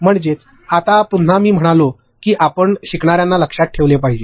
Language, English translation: Marathi, That is, now again I said we have to keep learners in mind